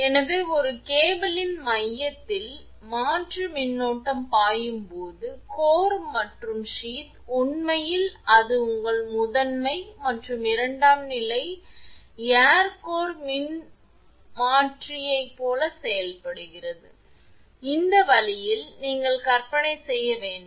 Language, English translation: Tamil, So, when alternating current flows in the core of a cable, the core and sheath actually it acts like your primary and secondary of an air core transformer, this way you have to imagine